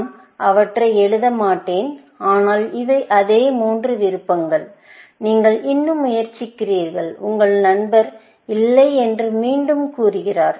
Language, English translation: Tamil, I will not write them, but these are the same three options; what you are trying, and your friend again, says, no, essentially